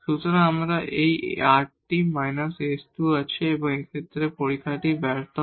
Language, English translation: Bengali, So, we have this rt minus s square and in this case the test fails